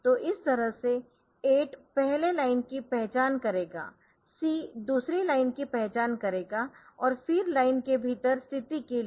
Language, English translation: Hindi, So, this way so 8 will identify first line c identify the second line and then for a position within the line